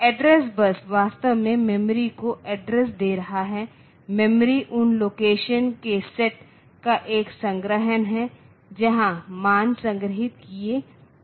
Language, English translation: Hindi, So, this address bus is actually giving address to the memory that is memory is a collection of set of locations where the values are stored